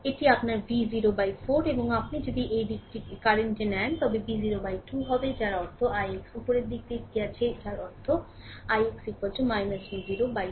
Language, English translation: Bengali, So, this is your V 0 by 4 and if you take this direction the current it will be V 0 by 2 that means, i x is taken upwards that means, i x is equal to minus V 0 by 2 right